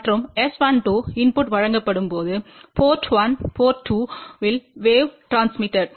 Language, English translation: Tamil, And S 12 will be transmitted wave at the port 1 when the input is given at port 2